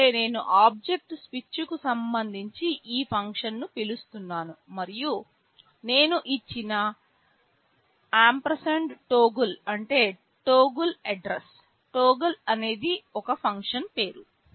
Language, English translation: Telugu, rise means I am calling this function in connection with the object switch and I have given &toggle means address of toggle; toggle is the name of a function